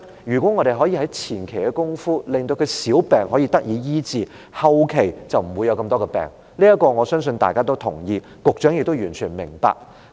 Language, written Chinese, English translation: Cantonese, 如果政府可以在前期的工作上，令香港人的小病得以醫治，香港人後期便不會患上更多疾病，我相信大家也同意這點，局長也完全明白。, If the Government can do well in the preliminary work so that Hong Kong people can receive treatment for their minor illnesses Hong Kong people will not catch more illnesses during the later period . I believe this is agreed by us and will also be understood by the Secretary